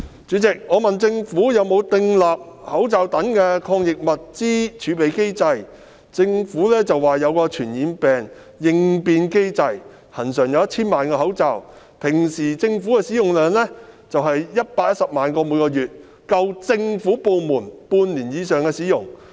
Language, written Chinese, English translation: Cantonese, 主席，我問政府有否訂立口罩等抗疫物資的儲備機制，政府表示設有傳染病應變計劃，恆常儲備1000萬個口罩，政府部門平時的口罩需求量為每月約110萬個，儲備足夠政府部門使用半年以上。, President in reply to my question about whether the Government has established a mechanism for the reserve of anti - epidemic items such as face masks the Government indicated that it maintained a regular stock of 10 million masks by virtue of the response plans put in place for infectious diseases and as the monthly demand for masks by government departments was normally about 1.1 million before the outbreak the stock should have been sufficient for use by government departments for more than half a year